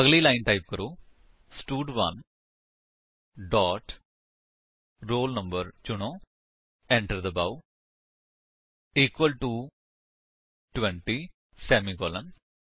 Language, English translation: Punjabi, So, next line, type: stud1 dot select roll no press Enter equal to 20 semicolon